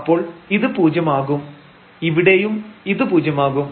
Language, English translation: Malayalam, So, this will be 0 and this is again here 0